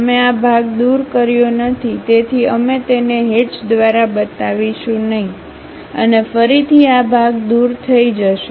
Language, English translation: Gujarati, We did not remove this part; so, we do not show it by hatch and again this part is removed